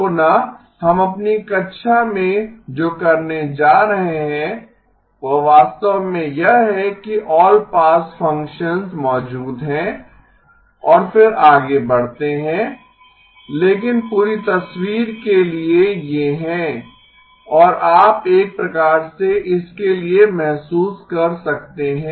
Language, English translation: Hindi, Again, what we are going to do in our class is to actually assume that the all pass functions exist and then move forward but for the complete picture these are and you can kind of get a feel for it